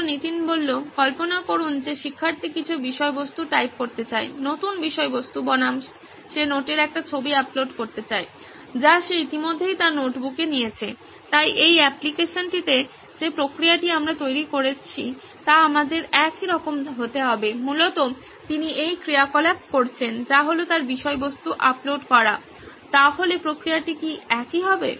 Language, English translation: Bengali, Imagine the student wants to type some content, new content versus he would want to upload a image of note that he has already taken in his notebook, so the process in this application that we are building be the same to our, essentially he is doing the same activity which is uploading his content, so would the process be the same